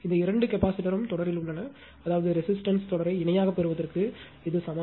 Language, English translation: Tamil, And these two capacitor are in series means it is equivalent to the view obtain the resistance series in parallel